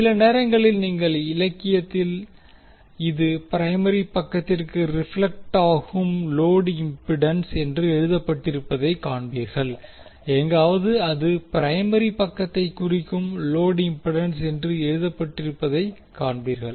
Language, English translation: Tamil, So, sometimes you will see in the literature it is written as the load impedance reflected to primary side and somewhere you will see that it is written as load impedance referred to the primary side